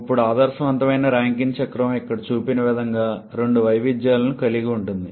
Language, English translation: Telugu, Now the ideal Rankine cycle of course can have two variations as shown here